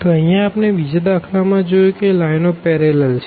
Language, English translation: Gujarati, So, here we have seen the in the second case that the lines are parallel